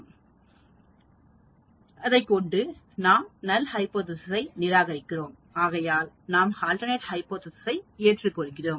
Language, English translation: Tamil, Then we collect the data, we analyze the data, we have to reject the null hypothesis in order to accept the alternate hypothesis